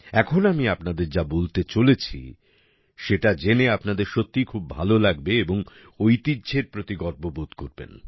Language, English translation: Bengali, What I am going to tell you now will make you really happy…you will be proud of our heritage